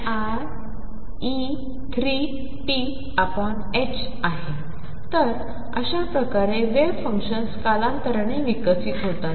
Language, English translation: Marathi, So, this is how wave functions evolve in time